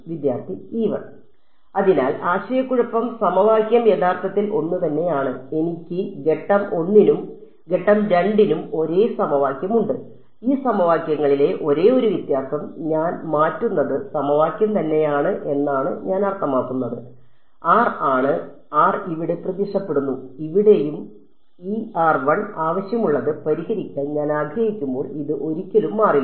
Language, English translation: Malayalam, So, the confusion is that the equation is actually the same I have the same equation for step 1 and step 2; the only difference in these equation I mean the equation is the same what I am changing is r, r is appearing here, here and here this never changes when I wanted to solve for E r prime I need it